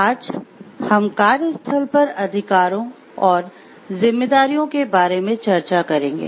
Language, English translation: Hindi, Today we will be discussing about workplace rights and responsibilities